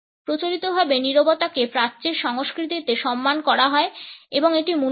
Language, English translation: Bengali, Conventionally silence is respected in Eastern cultures and it is valued